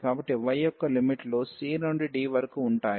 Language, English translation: Telugu, So, the limits of y will be from c to d